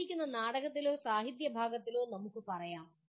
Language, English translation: Malayalam, Let us say in a given drama or in a literature piece